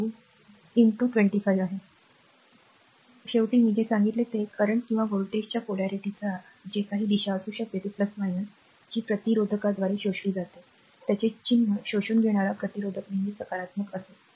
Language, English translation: Marathi, So, ultimately 100 what I told you that for whatever may be the direction of the current or the polarity of the voltage plus minus that power your absorbed by the resistor, resistor absorbed power it sign will be always positive, right